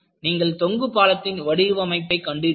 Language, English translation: Tamil, If you really look at the bridge design, people built a suspension bridge